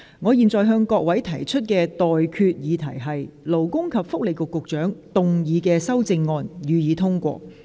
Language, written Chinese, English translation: Cantonese, 我現在向各位提出的待決議題是：勞工及福利局局長動議的修正案，予以通過。, I now put the question to you and that is That the amendment moved by the Secretary for Labour and Welfare be passed